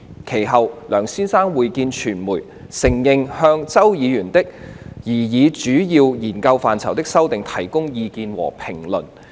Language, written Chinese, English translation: Cantonese, 其後，梁先生會見傳媒，承認他曾就周議員提交的擬議主要研究範疇修訂本提供意見和評論。, Subsequently Mr LEUNG met with the media and admitted that he had provided views and comments on the amendments submitted by Mr CHOW to the proposed major areas of study